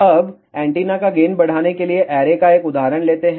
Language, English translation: Hindi, Now, let us take an example of array to increase the gain of the antenna